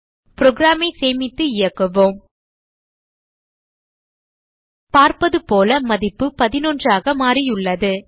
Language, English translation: Tamil, So save and run the program As we can see, the value has been changed to 11